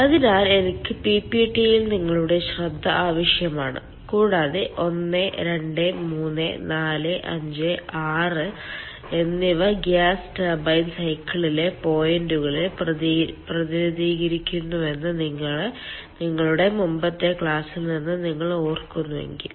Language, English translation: Malayalam, so i draw your attention to the ppt and if you recall from your earlier class that one, two, three, four, five, six, they represent the points over the gas turbine cycle